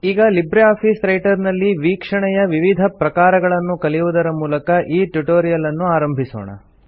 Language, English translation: Kannada, So let us start our tutorial by learning about the various viewing options in LibreOffice Writer